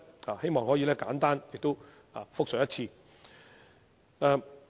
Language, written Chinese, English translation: Cantonese, 我希望可以簡單複述一次。, I would like to recap it briefly